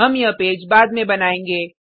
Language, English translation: Hindi, We will create this page later